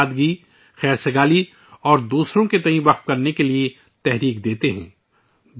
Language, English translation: Urdu, They inspire us to be simple, harmonious and dedicated towards others